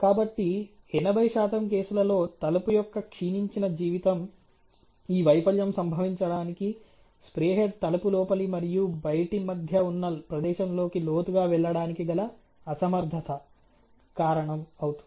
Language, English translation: Telugu, So, therefore, in most 80 percent of the cases the reason why this failure of the deteriorated life of the door occurs is, because the spray head is not able to go as far into between the door inner and outer ok